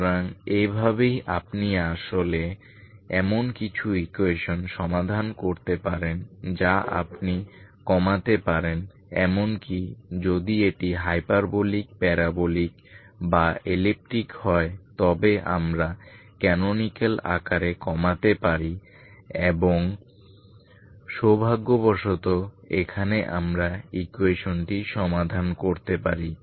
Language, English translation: Bengali, So this is what this is how you can actually solve some of the equations you can reduce even if it either hyperbolic parabolic or elliptic so we can reduce into canonical form and fortunate here we can solve it, solve the equation